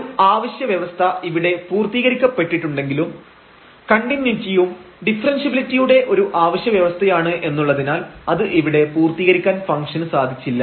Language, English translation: Malayalam, So, one of the necessary conditions here is fulfilled, but the continuity is also the necessary condition for differentiability which is not fulfilled here